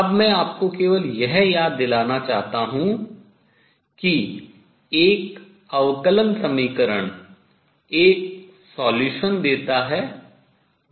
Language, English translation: Hindi, Now, I just want to remind you that a differential equation gives solution that is fixed by boundary conditions